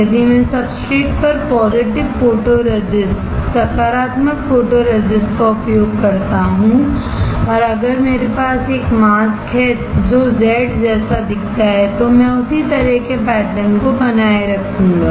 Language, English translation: Hindi, If I use positive photoresist on the substrate and if I have a mask which looks like Z, then I will retain the similar pattern itself